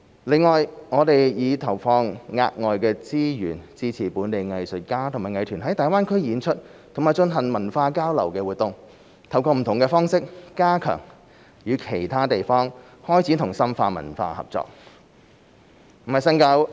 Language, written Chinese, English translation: Cantonese, 另外，我們已投放額外資源支持本地藝術家和藝團在大灣區演出及進行文化交流活動，透過不同方式加強與其他地方開展和深化文化合作。, In addition we have committed additional resources to support local artists and arts groups to perform and undertake cultural exchange activities in the Greater Bay Area and step up our efforts to conduct and deepen cultural cooperation with other places in various ways